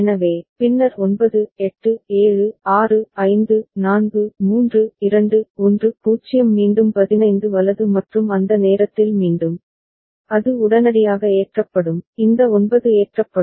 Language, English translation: Tamil, So, then 9 8 7 6 5 4 3 2 1 0 again 15 right and at that time again, it will get loaded immediately, this 9 will get loaded